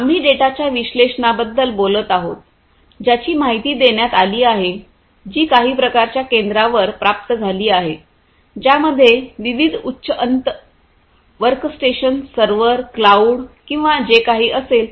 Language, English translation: Marathi, We are talking about analysis of the data that is informed that is received at some kind of a hub which will be comprised of different high end workstations, servers, cloud or whatever